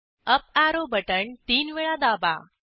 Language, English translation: Marathi, Now press the uparrow key thrice